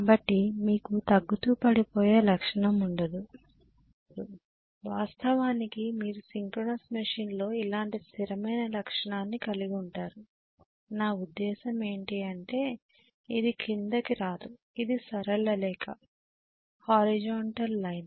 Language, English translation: Telugu, So you will not have a dropping characteristic at all, you will in fact have in a synchronous machine a steady characteristic like this, I mean it cannot come down it should be a straight line, horizontal straight line